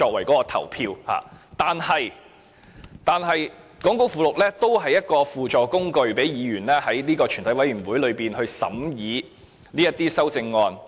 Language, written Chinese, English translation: Cantonese, 講稿附錄是一種輔助工具，讓委員在全體委員會階段審議修正案。, The appendix to the script is an auxiliary tool facilitating members scrutiny of CSAs during the Committee stage